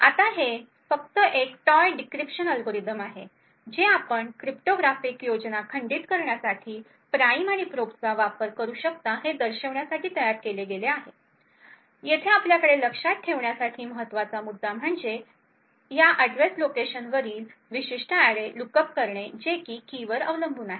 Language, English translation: Marathi, Now this is just a toy decryption algorithm, which you have just built up to show how prime and probe can be used to break cryptographic schemes, the important point for us to observe over here is that this lookup to this particular array is on a address location which is key dependent